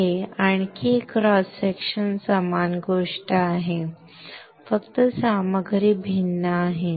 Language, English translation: Marathi, This is another cross section is the same thing right just the material is different